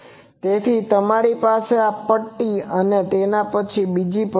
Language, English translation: Gujarati, So, you have these then you have another strip, another strip